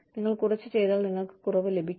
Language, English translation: Malayalam, If you do less, you get less